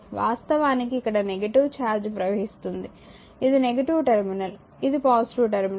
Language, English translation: Telugu, So, this is actually negative charge flowing, this is the negative terminal, this is the positive terminal